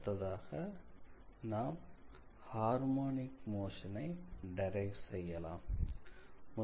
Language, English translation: Tamil, So, next we can derive the harmonic motion